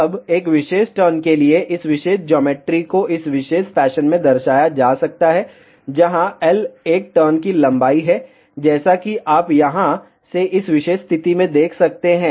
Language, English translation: Hindi, Now, this particular geometry for a single turn can be represented in this particular fashion, where L is the length of one turn as you can see from here to this particular position